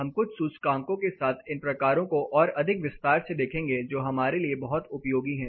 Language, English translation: Hindi, We are going to look at these types more in detail along with some indices which are really use for us